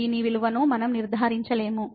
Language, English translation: Telugu, We cannot conclude the value of this one